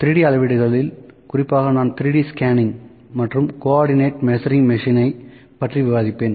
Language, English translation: Tamil, In this lecture I will discuss 3D measurements and Co ordinate Measuring Machine